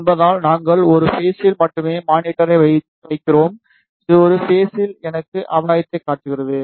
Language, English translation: Tamil, Since, we put the monitor at only one point this is showing me the gain at particular one point